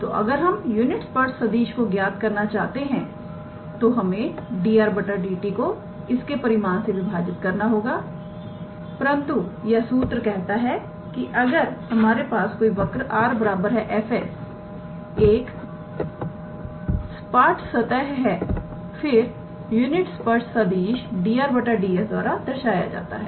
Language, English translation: Hindi, So, if we want to calculate the unit tangent vector we must divide dr dt by its magnitude, but this theorem says that if we have an equation r is equals to f s of a smooth curve then the unit tangent vector will be given by dr ds